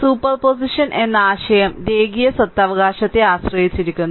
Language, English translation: Malayalam, So, idea of superposition rests on the linearity property right